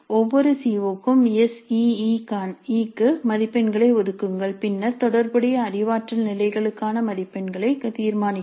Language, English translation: Tamil, For each CO, allocate marks for ACE, then determine the marks for relevant cognitive levels